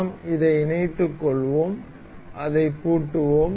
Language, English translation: Tamil, And we will mate it up, and we will lock it